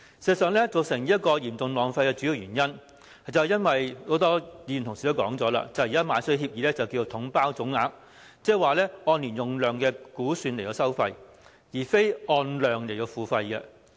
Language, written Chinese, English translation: Cantonese, 事實上，造成這種嚴重浪費的主要原因，正如很多議員同事也提到，現時購買東江水的協議是採用"統包總額"方式，即是說按年用量估算來收費，而非按量來付費。, As mentioned by many fellow Members the main reason for such serious wastage is that the package deal lump sum approach was adopted under the current agreement for the purchase of Dongjiang water . According to this approach fixed water prices are paid based on estimated annual water consumption instead of actual consumption